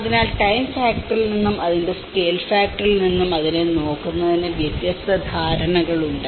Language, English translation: Malayalam, So, there are different perceptions of looking at that from the time factor and the scale factor of it